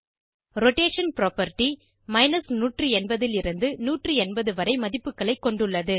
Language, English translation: Tamil, Rotation property has values from 180 to 180